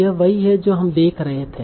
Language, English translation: Hindi, So that is what you will see here